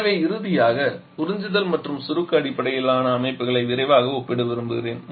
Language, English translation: Tamil, So, finally would like to quickly compare the absorption and the combustion based system